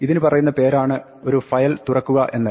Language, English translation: Malayalam, This is called opening a file